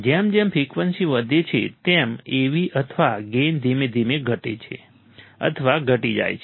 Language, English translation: Gujarati, Av or gain falls or drops off gradually as the frequency is increased